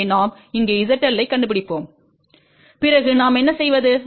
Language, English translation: Tamil, So, we locate the Z L over here then what we do